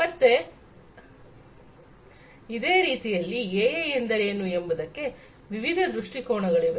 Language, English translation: Kannada, So, like this there are different viewpoints of what AI is